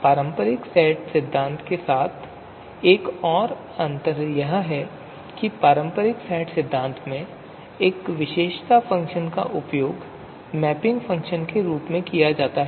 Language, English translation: Hindi, Another you know difference another difference with conventional set theory is that in conventional set theory a characteristic function is used as a mapping function